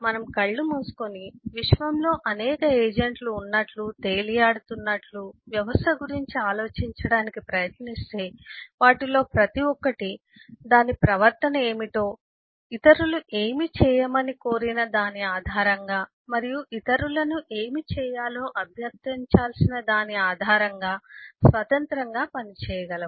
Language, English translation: Telugu, if we, if we close our eyes and think about the system as if there are a number of agents floating around in the in the universe and each one of them can independently act based on what its behavior is, based on what a it is requested by others to do and based on what it needs to request others to do